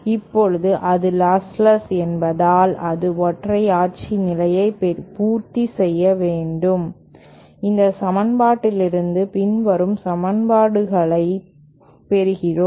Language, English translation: Tamil, Now since it is lossless, it should satisfy the unitary condition and from this equation we get the following equations